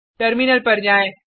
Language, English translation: Hindi, Then switch to the terminal